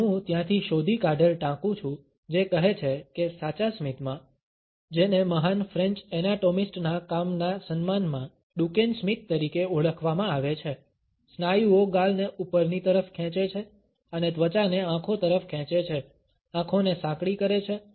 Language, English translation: Gujarati, And I quote from there is search they say that, in genuine smiles, which have been termed as Duchenne smiles in honour of the work of the great French anatomist, muscles lift the cheek up wards and push the skin towards the eyes, narrowing the eyes and causing crow’s feet wrinkles at the outer corners of the eyes